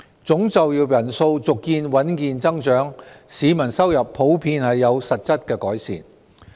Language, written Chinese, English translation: Cantonese, 總就業人數續見穩健增長，市民收入普遍有實質改善。, Total employment continued to grow steadily . In general peoples income has improved in real terms